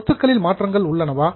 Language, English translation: Tamil, Are the assets changing